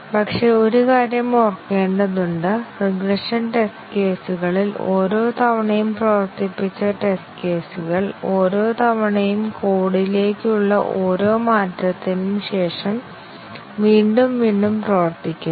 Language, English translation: Malayalam, But, one thing that needs to be kept in mind that during regression test cases, the test cases which were run once they are run again and again after each change to the code